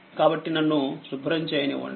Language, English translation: Telugu, Therefore let me clear it